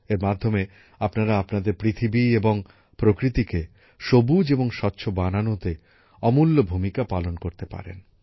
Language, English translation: Bengali, Through this, you can make invaluable contribution in making our earth and nature green and clean